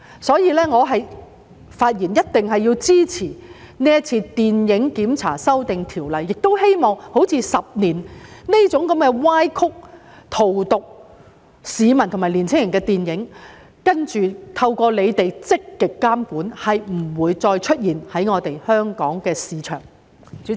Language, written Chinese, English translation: Cantonese, 所以，我發言支持修訂電影檢查制度的建議，並希望像《十年》這種歪曲事實、荼毒市民和年青人的電影，今後透過當局的積極監管不會再在香港市場出現。, Therefore I speak in support of the amendments proposed to the film censorship regulatory regime and hope that with active regulation by the authorities in the future movies like Ten Years which seek to distort facts and poison the minds of our citizens and young people will no longer exist in Hong Kong market